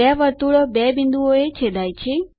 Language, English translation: Gujarati, Two circles intersect at two points